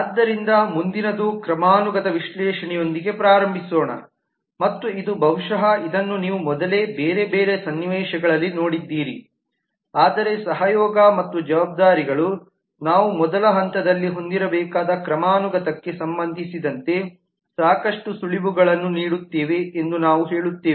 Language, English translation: Kannada, so next let me just start off with the analysis of hierarchy and this is a possibly you saw this earlier also in couple of different other context, but we will say that the collaboration and the responsibilities give us a lot of clue in terms of the hierarchy that we at least should have at the first level